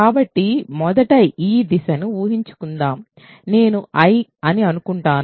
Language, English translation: Telugu, So, let us first assume this direction I will assume that ok